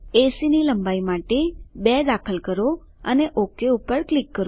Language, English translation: Gujarati, 2 for length of AC and click OK